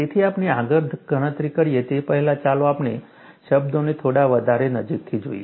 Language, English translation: Gujarati, So, before we do the calculation further, let us look at the terms a little more closely